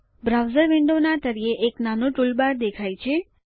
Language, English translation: Gujarati, A small toolbar appears at the bottom of the browser window